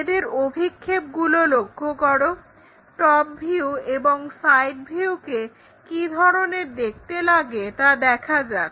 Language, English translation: Bengali, Look at their projections like what is the front view, what is the top view, and how the side view really looks like